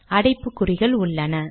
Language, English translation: Tamil, I got square brackets